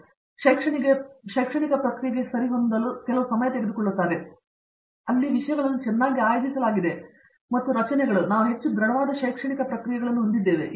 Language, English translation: Kannada, So, you take some of while to get adjusted to the academic process that IIT, where things are very well organized and structures and we have very robust academic processes in place